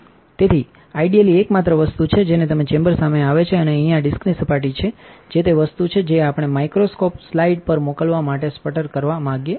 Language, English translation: Gujarati, So, in the shield is on the only thing that is exposed to the chamber is the surface of this disc here, which is the thing that we want to sputter to send off onto the microscope slide